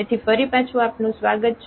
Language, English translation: Gujarati, So, welcome back